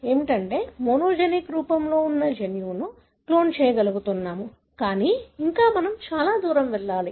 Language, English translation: Telugu, So, we are able to now clone the gene involved in a monogenic form, but still it is a long way to go